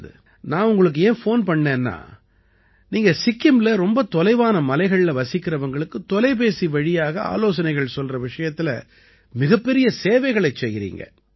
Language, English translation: Tamil, Well, I called because you are providing great services of teleconsultation to the people of Sikkim, living in remote mountains